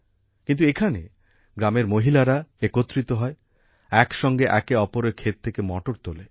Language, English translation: Bengali, But here, the women of the village gather, and together, pluck peas from each other's fields